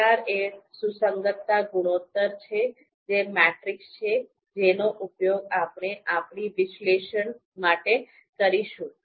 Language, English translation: Gujarati, CR is the you know consistency ratio the metric that we are going to use for our analysis